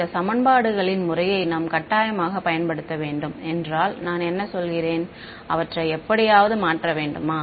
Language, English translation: Tamil, What are the I mean should we just use these system of equations as a should be change them somehow